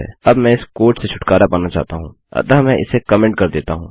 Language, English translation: Hindi, Now I want to get rid of this code so Ill comment this out